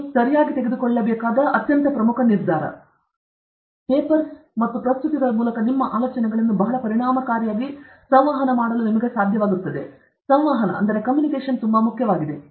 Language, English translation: Kannada, You should be able to communicate your ideas through papers and presentations very effectively; communication is very, very important